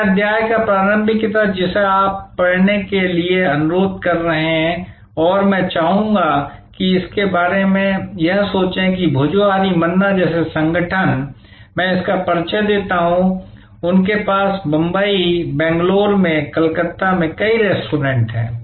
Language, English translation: Hindi, The initial part of that chapter you are requested to be read and I would like it think about that an organization like Bhojohari Manna, I introduce that, they have number of restaurants in Calcutta, in Bombay, Bangalore